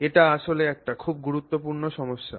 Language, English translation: Bengali, This is actually a very important issue